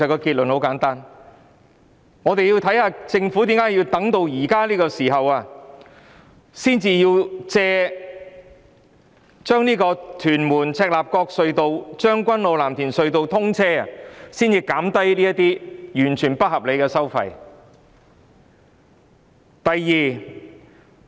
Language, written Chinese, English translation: Cantonese, 第一，我們想了解政府為何要在此時藉屯門—赤鱲角隧道及將軍澳—藍田隧道通車的機會，才減低有關的不合理收費。, First we wish to find out why the Government agrees to reduce the unreasonable charges concerned only at this moment when the Tuen Mun - Chek Lap Kok Tunnel TM - CLKT and the Tseung Kwan O - Lam Tin Tunnel TKO - LTT are about to commence service